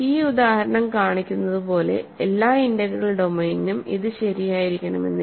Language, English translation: Malayalam, So, this we have to ask it may not be true for every integral domain as this example shows